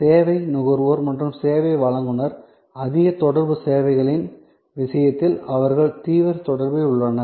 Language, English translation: Tamil, So, the service consumer and the service provider, they are in intense contact in case of high contact services